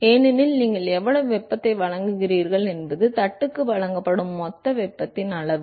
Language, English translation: Tamil, Because, what is the amount of heat that you are supplying here is the total amount of heat that is supplied to the plate